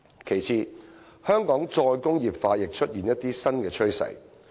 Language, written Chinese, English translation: Cantonese, 其次，香港"再工業化"亦出現一些新趨勢。, Secondly we have seen some new trends of re - industrialization in Hong Kong